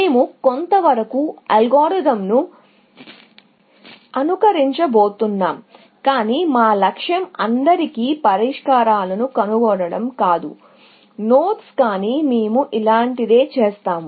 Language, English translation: Telugu, So, we are in some sense going to mimic that algorithm, but our goal is not to find solutions to all the nodes; but we will be doing something similar, essentially